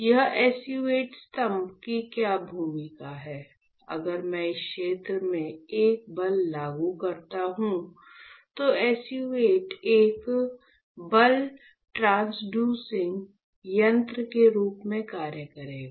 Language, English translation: Hindi, Now we understand that, if I apply a force to this area right, then SU 8 pillar will act as a force transducing mechanism